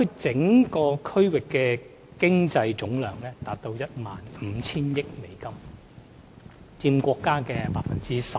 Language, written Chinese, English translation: Cantonese, 整個大灣區的經濟總量達 15,000 億美元，佔國家經濟總量的 12%。, The economic output of the entire Bay Area stands at US1.5 trillion accounting for 12 % of the gross economic output of the country